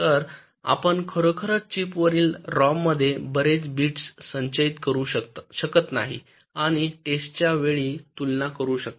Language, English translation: Marathi, so you really cannot store so many bits () in rom on chip and compare during testing, right